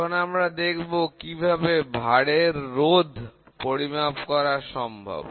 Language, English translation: Bengali, Let us see now, how is the load measured resistance of load